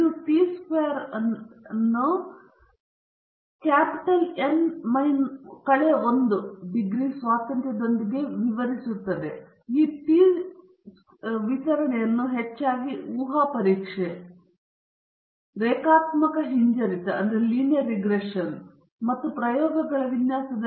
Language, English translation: Kannada, This describes a t distribution with n minus 1 degrees of freedom and this t distribution is often used in hypothesis testing, linear regression, and design of experiments